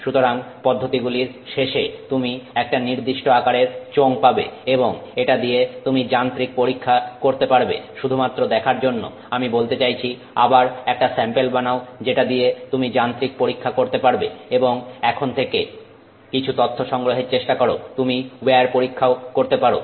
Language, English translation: Bengali, So, at the end of the process you are going to have a cylinder of some form and you can do mechanical testing with it just to see, I mean again make a sample from which you can do a mechanical test and no look for some data from it and you could also do a wear test